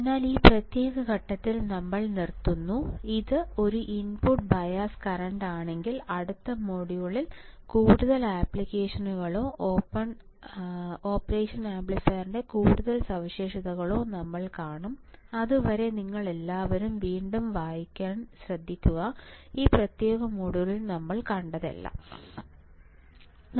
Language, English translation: Malayalam, So, what we will do is we will stop at this particular point, if it is a input bias current and in the next module, we will see further applications or further characteristics of operation amplifier till then you all take care read again, once what whatever we have seen in this particular module and in the next module